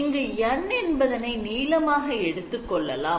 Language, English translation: Tamil, So basically, we are talking about a length N